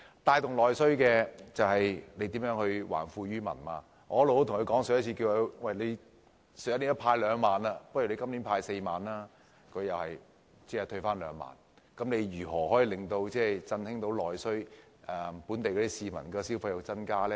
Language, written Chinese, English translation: Cantonese, 帶動內需就是要還富於民，我曾向政府建議，既然去年派了2萬元，不如今年派4萬元，但政府最終只退回2萬元，試問如何可以振興內需，令本地市民的消費增加呢？, I once proposed to the Government that after giving out 20,000 last year it would be desirable to give out 40,000 this year . Yet in the end the Government has merely given out 20,000 . How can this amount of money stimulate domestic demand and encourage spending by local people?